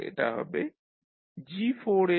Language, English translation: Bengali, So this will become G4s into G6s into H2s